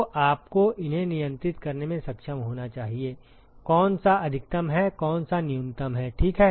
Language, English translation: Hindi, So, you should be able to control these, which one is maximum which one is minimum, ok